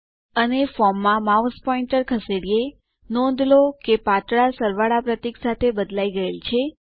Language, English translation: Gujarati, And let us move the mouse pointer into the form notice that it has changed to a thin plus symbol